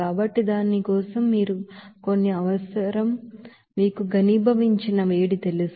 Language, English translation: Telugu, So for that you need some you know heat of condensation